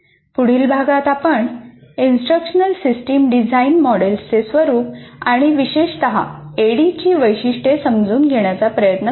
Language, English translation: Marathi, And in the next module, the next unit, we will try to understand the nature of instructional system design models and particularly features of adding